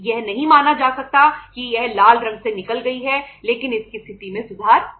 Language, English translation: Hindi, It cannot be considered that it has come out of the red but its position has improved